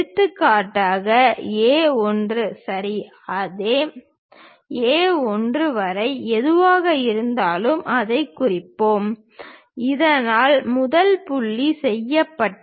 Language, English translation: Tamil, For example, whatever the line A 1, same A 1 line we will mark it, so that first point will be done